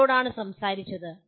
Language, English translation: Malayalam, Who spoke to …